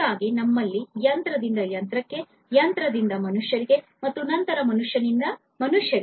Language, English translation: Kannada, So, we have machine to machine, machine to human, and then human to human